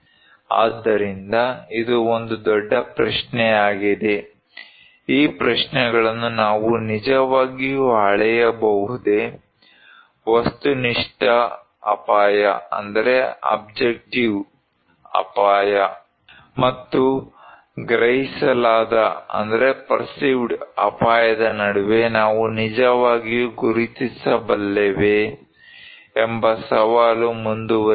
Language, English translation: Kannada, so that is a big question, these questions that whether we can really measure, can we really distinguish between objective risk and perceived risk that challenge will continue